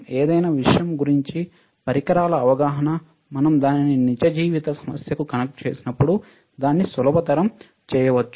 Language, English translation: Telugu, Same way any understanding of any devices understanding of any subject can we make easier when we connect it to a real life problem, all right